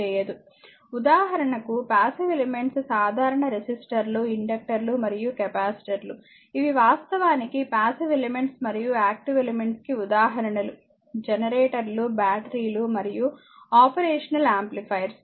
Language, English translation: Telugu, For example that passive elements are resistors in general resistors, inductors and capacitors these are actually passive elements right and example of active elements are it is generators, batteries and operational amplifiers